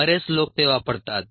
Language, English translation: Marathi, many people consume that